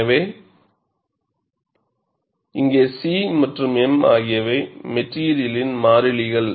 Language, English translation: Tamil, So, here C and m are material constants